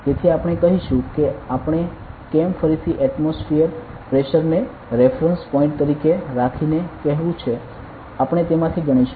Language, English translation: Gujarati, So, we will say that why we have to say again so keeping the atmospheric pressure as the reference point we will count from that